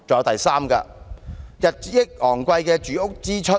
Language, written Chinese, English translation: Cantonese, 第三，日益昂貴的住屋支出。, The third obstacle is the rising housing expenditure